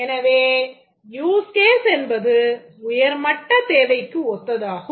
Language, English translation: Tamil, The use cases are something similar to a high level requirement